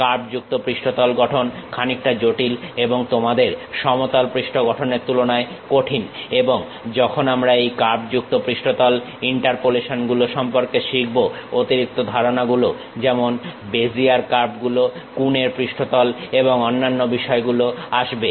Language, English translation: Bengali, Curved surface construction is bit more complicated and difficult compared to your plane surface and when we are going to learn about these curved surface interpolations additional concepts like Bezier curves, Coons surface and other things comes